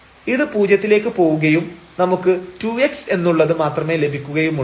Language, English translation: Malayalam, So, this will go to 0 and we will get only 2 x